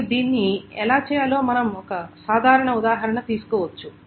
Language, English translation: Telugu, And we can take a simple example of how to do it